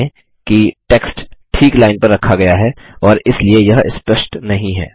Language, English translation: Hindi, Notice that the text is placed exactly on the line and hence it is not clear